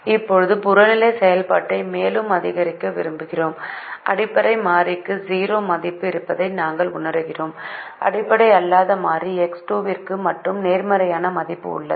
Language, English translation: Tamil, now we wish to increase the objective function further and we realize that that the basic variable have zero c j minus z j, the non basic variable, only x two has a positive value